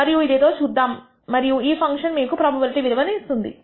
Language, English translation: Telugu, We will see what it is and this function will give you the probability value